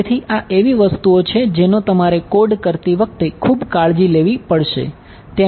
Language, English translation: Gujarati, So, these are the things which you have to be very careful about when you code